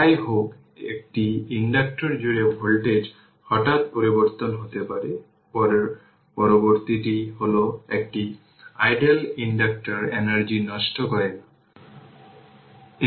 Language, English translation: Bengali, However the voltage across an inductor can change abruptly, next 1 is an ideal inductor does not dissipate energy right